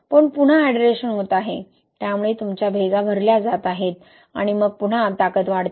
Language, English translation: Marathi, But again the hydration is happening, right, so your cracks are being filled and then you see again strength increase, right